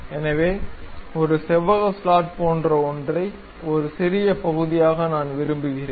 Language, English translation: Tamil, So, something like a rectangular slot, a small portion I would like to have